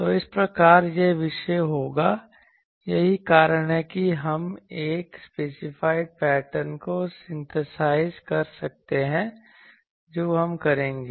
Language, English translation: Hindi, So, thus it will be this topic that is why that we can so that we can synthesize a given specified pattern that we will do